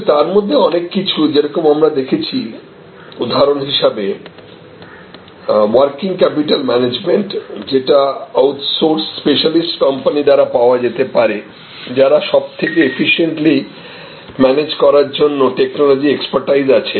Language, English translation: Bengali, But, many of them are as we saw working capital management for example, can be provided by a outsourced specialist company, who has the technology expertise to manage that most efficiently